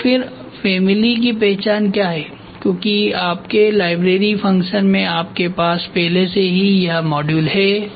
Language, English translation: Hindi, So, then what the family identification is done because in your library function you already have this module there